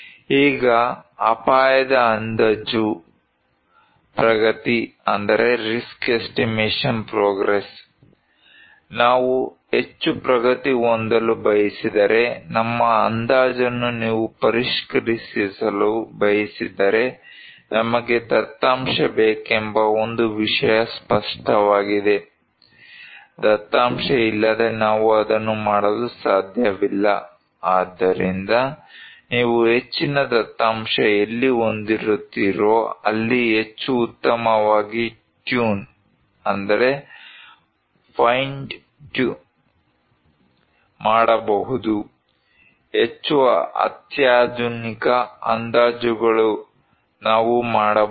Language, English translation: Kannada, Now, risk estimation progress; if we want to progress more if you want to refine our estimation, one thing is very clear that we need data, without data we cannot do it so, more data where you have, the more fine tuned, more cutting edge estimations we can make